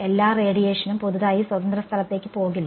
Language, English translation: Malayalam, Not all the radiation is going to go into free space newly with that ok